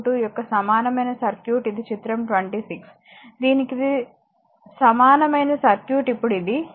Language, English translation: Telugu, 22 that is your figure 26, this the for this it is equivalent circuit will be now this one, right